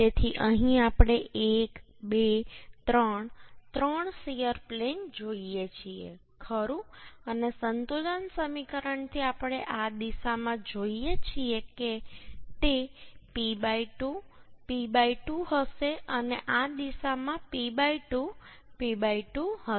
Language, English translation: Gujarati, So here we see one, two, three, three shear plates, right and from equilibrium equation we see this in this direction it will be P by 2, P by 2 and in this direction it will be P by 2, P by 2